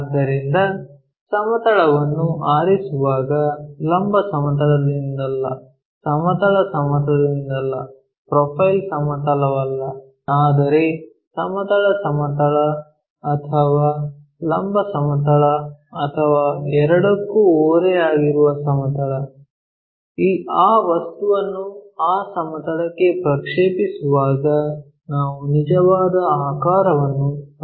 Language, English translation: Kannada, So, when we are picking a plane not of a vertical plane, horizontal plane not profile plane, but a plane which is either inclined to horizontal plane or vertical plane or both; when we are projecting that object onto that plane we may get true shape